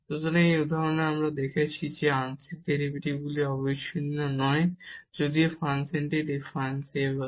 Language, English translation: Bengali, So, in this example we have seen that the partial derivatives are not continuous though the function is differentiable